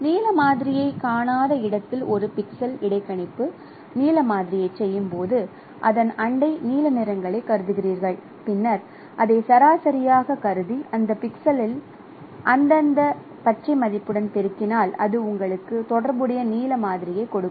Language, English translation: Tamil, So while performing interpolating blue sample at a missing at a pixel where blue sample is missing, you consider its neighboring blue hues, then average it and then you multiply with the respective some green value at that pixel that would give you the corresponding blue sample